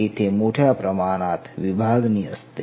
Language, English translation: Marathi, This is a huge amount of division